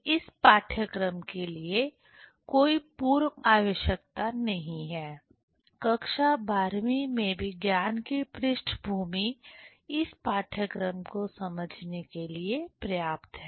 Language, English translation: Hindi, There is no pre requisition for this course; science background in plus 2 level is enough to understand this course